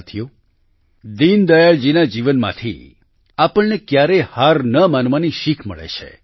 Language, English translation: Gujarati, from the life of Deen Dayal ji, we also get a lesson to never give up